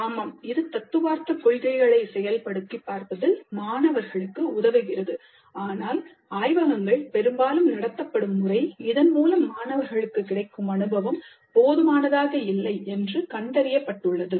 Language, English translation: Tamil, Yes, it does help the students in practicing in applying the theoretical principles to practical scenarios, but the way the laboratories are conducted, most often the kind of experience that the students get is found to be quite inadequate